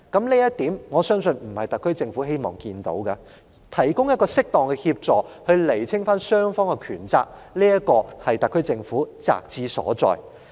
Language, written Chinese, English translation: Cantonese, 我相信這並非特區政府所願見的，所以提供適當協助、釐清雙方權責，就是特區政府責之所在。, I believe the SAR Government does not wish to see this scenario . Hence the SAR Government is obliged to provide appropriate assistance and clarify the obligations and liabilities of both parties